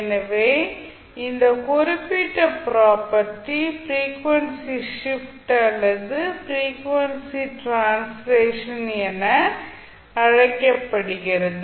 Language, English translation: Tamil, So this particular property is called as frequency shift or frequency translation